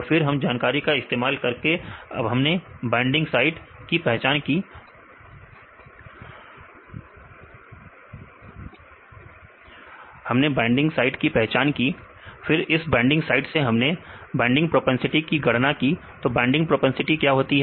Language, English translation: Hindi, Then using this information we identified the binding sites, then from that binding sites we calculate the binding propensity, what is the binding propensity